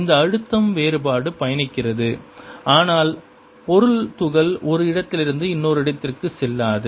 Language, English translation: Tamil, that pressure difference travels, but the material particle does not go from one place to the other